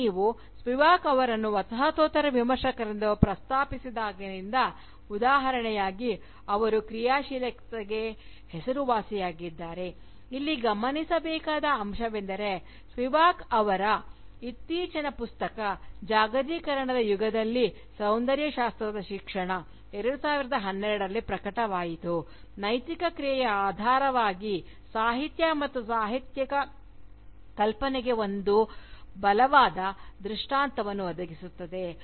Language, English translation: Kannada, Now, since we have mentioned, Spivak as an example of a Postcolonial Critic, who is also known for her activism, it is worth noting here, that Spivak's latest Book titled, Aesthetic Education in an Era of Globalisation, which was published in 2012, also makes a very strong case, for Literature and Literary imagination, as a basis for Ethical action